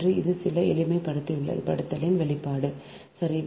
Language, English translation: Tamil, so this is the expression of upon some simplification, right